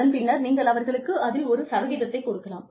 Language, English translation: Tamil, And then, maybe, you can match it, or give them, a percentage of it